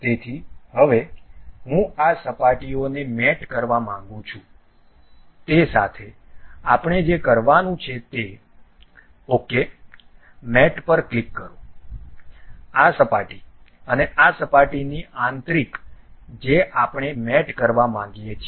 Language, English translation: Gujarati, So, now, I would like to really mate these surfaces what we have to do, click ok mate, this surface and internal of this surface we would like to mate